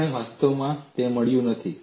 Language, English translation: Gujarati, We have not actually derived it